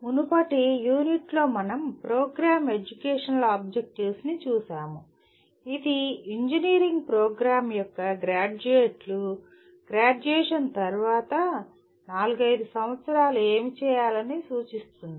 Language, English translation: Telugu, In the earlier unit we looked at Program Educational Objectives, which state that what the graduates of an engineering program are expected to be doing 4 5 years after graduation